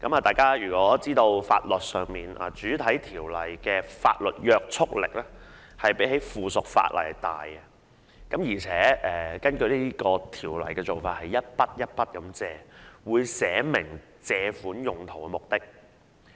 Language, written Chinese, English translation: Cantonese, 大家也知道在法律上，主體法例的法律約束力大於附屬法例，而根據相關條例的做法，款項是逐項借入，亦會註明借款用途或目的。, As we are aware in law primary legislation is greater in binding force than subsidiary legislation and as set out in the relevant Ordinance borrowings would be made one by one and their use or purpose were also specified